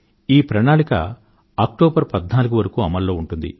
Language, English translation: Telugu, And this scheme is valid till the 14th of October